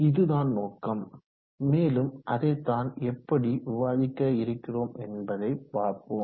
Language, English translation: Tamil, So that is the objective and that is what we plan to discuss and see how we go about doing that